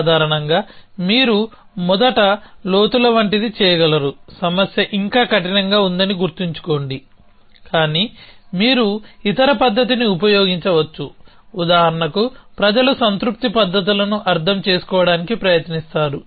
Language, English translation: Telugu, So, typically you could do something like depths first here remember that the problem is still in hard, but you could use other method, so for example people have try to understand satisfaction methods and so on